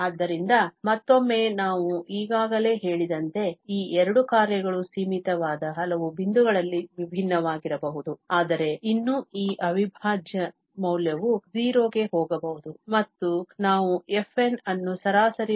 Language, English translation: Kannada, So, again, as I already said that these two functions may differ at finitely many points, but still this integral value may goes to 0 and we call that this converges in the mean square sense to f